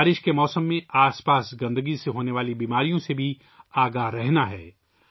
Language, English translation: Urdu, We also have to be alert of the diseases caused by the surrounding filth during the rainy season